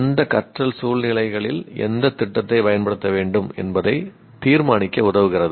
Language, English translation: Tamil, Helps to decide which strategies to use in which learning situations